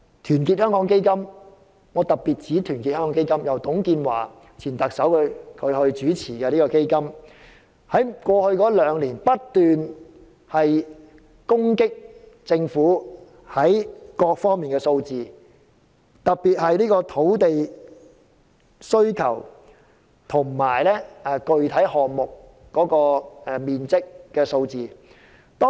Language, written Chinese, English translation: Cantonese, 團結香港基金——我特別指出這個由前特首董建華主持的基金——過去兩年不斷攻擊政府各方面的數字，特別是土地需求和具體項目所能提供的土地面積。, Our Hong Kong Foundation―I must especially point out this Foundation established by former Chief Executive TUNG Chee - hwa―has constantly attacked these government statistics in particular the statistics on land demand and the area of land to be provided by various projects